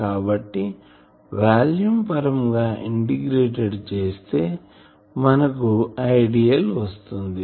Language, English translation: Telugu, So, volume wise if I integrate I will get I